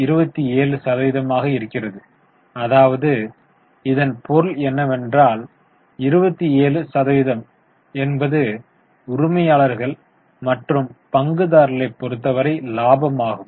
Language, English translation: Tamil, 27 as a percentage it is better understood, it means 27% is the profitability with respect to owners or shareholders